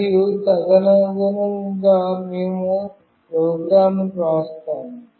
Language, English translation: Telugu, And accordingly we will write the program